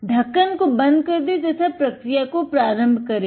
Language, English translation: Hindi, Close to lid and start the process